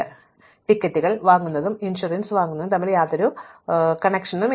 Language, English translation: Malayalam, Now, there is no dependency between buying a ticket and buying insurance as per the constraints we have, so far